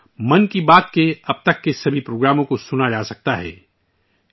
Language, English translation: Urdu, Here, all the episodes of 'Mann Ki Baat' done till now can be heard